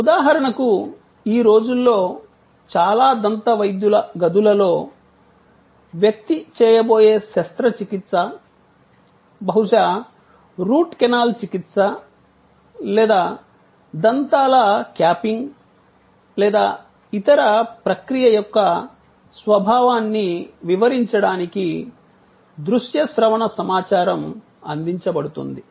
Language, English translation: Telugu, Like for example, these days in many dentist chambers, lot of audio visual information are provided to explain the nature of the surgery, the person is going to go through like maybe Root Canal Treatment or capping of the teeth or some other procedure